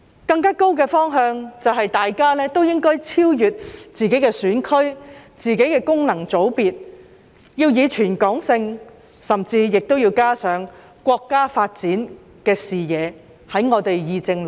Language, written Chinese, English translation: Cantonese, 更高的方向就是我們議政論政時，大家都應該超越自己的選區、自己的功能界別，要以全港性的思維甚至加上國家發展的視野。, As a higher aim we should go beyond the geographical constituencies and functional constituencies that we represent when we discussed politics . We should adopt a territory - wide mindset and even have a vision for the development of the country